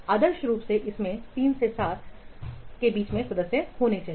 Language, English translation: Hindi, Ideally, it should consist of between three to seven members